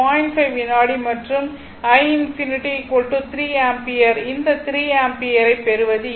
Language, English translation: Tamil, 5 second and i infinity I showed you that it is 3 ampere how to get it this 3 ampere right